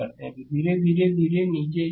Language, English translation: Hindi, So, slowly and slowly come down